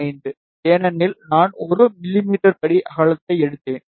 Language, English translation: Tamil, 5, because I took the step width of 1 mm